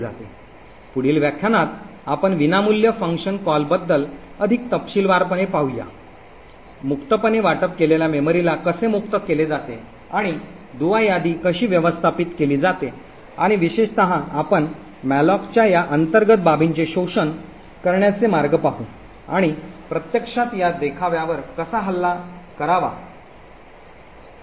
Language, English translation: Marathi, In the next lecture we will look at more into detail about the free function call essentially how free deallocates the allocated memory and how the link list are managed and in particular we will actually look at the ways to exploit this internal aspects of malloc and how to actually create an attack on this scene